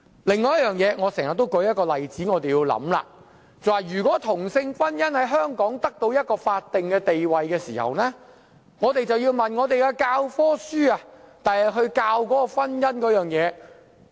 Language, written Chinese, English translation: Cantonese, 另一個我經常舉出的例子，就是當同性婚姻在香港獲得法定地位後，我們要想想，日後教科書如何教導婚姻的定義。, Another example often cited by me is that after same - sex marriage is granted a statutory status in Hong Kong we have to consider the definition of marriage to be taught in textbooks in future